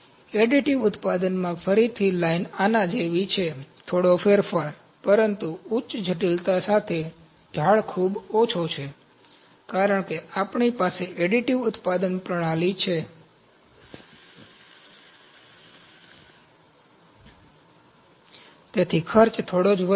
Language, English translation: Gujarati, In additive manufacturing again the line is like this, a little change, but the slope is too low, with high complexity, because we have additive manufacturing system the cost would rise only a little